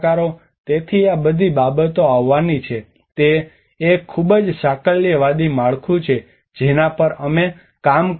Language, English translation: Gujarati, So all these things has to come this is a very holistic framework which we worked on